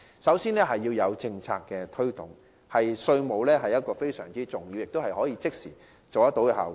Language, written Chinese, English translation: Cantonese, 首先，在政策推動方面，稅務安排非常重要，能產生即時的效果。, Firstly in terms of policy promotion efforts taxation arrangements are extremely important because they can produce immediate effect